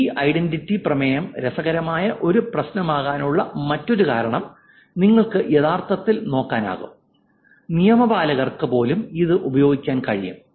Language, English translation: Malayalam, The other motivation also that the other reason why this identity resolution is an interesting problem is because you can actually look at even law enforcement can actually use this